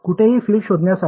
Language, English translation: Marathi, To find the field anywhere